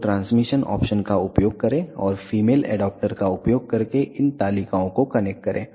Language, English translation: Hindi, So, use this transmission option and connect these tables using the female adaptor